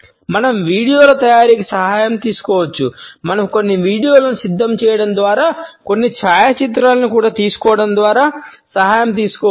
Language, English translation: Telugu, We can take the help of the preparation of videos; we can take the help by preparing certain videos, by taking certain photographs also